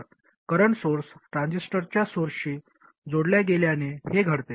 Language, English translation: Marathi, All we have to do is to connect the current source to the source of the transistor